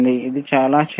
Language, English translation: Telugu, tThis is also extremely small